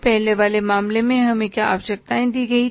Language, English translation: Hindi, In the previous case, what was the minimum requirement